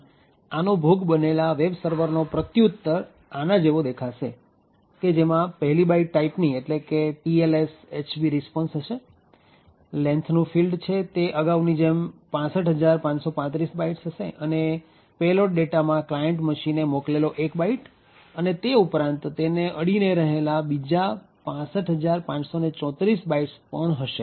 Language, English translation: Gujarati, Thus, the response from the victim would look like this way, it would comprise of 1 byte for type that is TLS HB RESPONSE, the length would be specify as before as 65535 bytes and the payload data would comprise of the 1 byte that was sent by the client machine as well as 65534 adjacent bytes